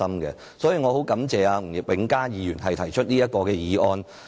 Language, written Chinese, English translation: Cantonese, 我十分感謝吳永嘉議員提出這項議案。, I sincerely thank Mr Jimmy NG for moving this motion